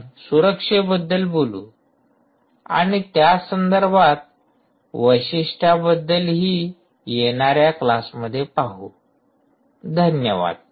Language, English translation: Marathi, we will discuss security and other related the features as we go along in the next class, thank you